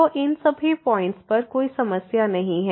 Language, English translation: Hindi, So, at all these points where there is no problem